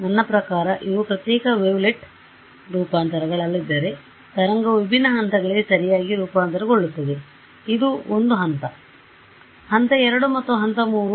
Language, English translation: Kannada, That is what has happened; I mean if these are not separate wavelet transforms, wavelet transforms to different levels right, so this is a level 1, level 2 and level 3 right